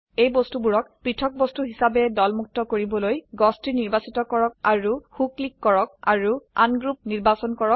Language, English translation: Assamese, To ungroup them as separate objects, select the tree, right click and select Ungroup